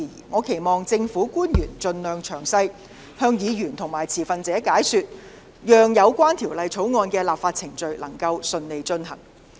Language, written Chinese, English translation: Cantonese, 我期望政府官員盡力向議員和持份者作出詳細解說，以便有關法案的立法程序能順利進行。, I hope public officers will try their best to provide Members and stakeholders with detailed explanations so that the legislative process of these bills will go smoothly